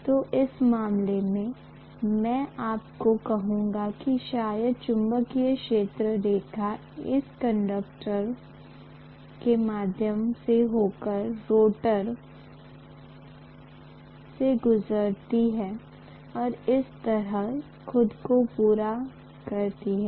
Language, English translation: Hindi, So I would say that in this case, maybe the magnetic field line will pass through this, pass through these conductors, pass through the rotor and complete itself like this